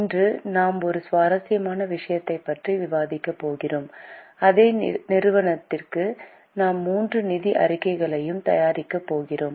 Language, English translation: Tamil, Today we are going to discuss a very interesting case where for the same company we are going to prepare all the three financial statements